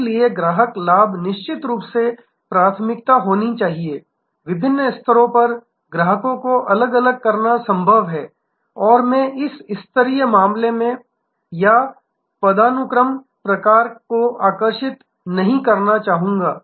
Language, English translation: Hindi, So, customer benefit must be the priority of course, it is possible to segregate the customers at different levels and I would not like to draw this tier case or hierarchy type